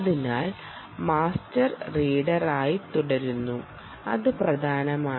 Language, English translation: Malayalam, ok, so master continues to be the reader, and that is important